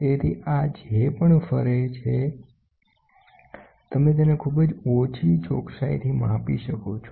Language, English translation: Gujarati, So, whatever this rotates, you can measure it at a very small accuracy